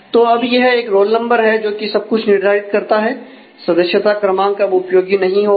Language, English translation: Hindi, So, now, it is a roll number which determines everything member number is no longer used